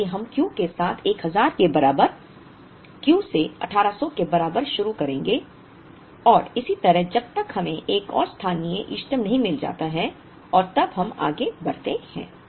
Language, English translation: Hindi, So, we will start with Q equal to 1000, Q equal to 1800 and so on till we find yet another local optimum and then we proceed